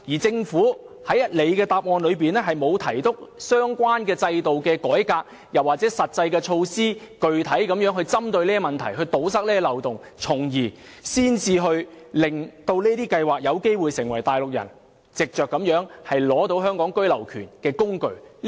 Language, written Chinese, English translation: Cantonese, 政府在主體答覆中沒有提及相關的制度改革，又或是實際措施，具體針對這些問題，堵塞有關漏洞，因而令這些計劃有機會成為內地人取得居留權的工具。, The Governments main reply does not mention any reform of the relevant schemes or any specific measures to address the problems and plug the loopholes . As a result these schemes may become the tools with which Mainland residents obtain the right of abode in Hong Kong